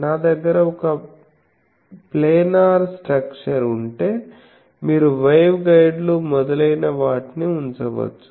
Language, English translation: Telugu, If I have a planar structure they are putting you can put waveguides etc